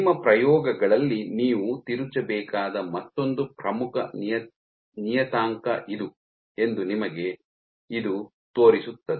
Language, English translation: Kannada, So, this shows you this is another important parameter that you must tweak in your experiments